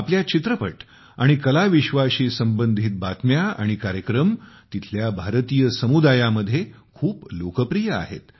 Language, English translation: Marathi, Our films and discussions related to the art world are very popular among the Indian community there